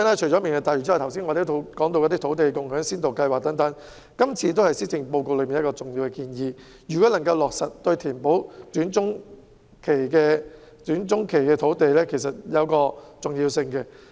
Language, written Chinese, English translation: Cantonese, 除了"明日大嶼"外，我們亦曾討論先導計劃，而這亦是施政報告的重要建議。如果能夠落實，對於填補短中期土地供應亦會有一定的重要性。, Apart from Lantau Tomorrow we have also discussed the Pilot Scheme which is also an important proposal in the Policy Address the implementation of which will fill the gap in respect of land supply in the short to medium term